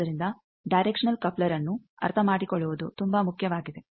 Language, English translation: Kannada, So, that is why it is so important to understand directional coupler